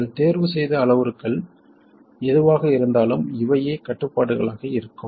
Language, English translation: Tamil, Regardless of the parameter set you choose, it turns out these will be the constraints